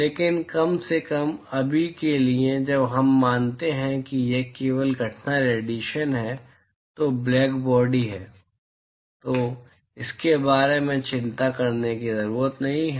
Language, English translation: Hindi, But at least for a right now when we assume that its only the incident irradiation is blackbody, we do not have to worry about that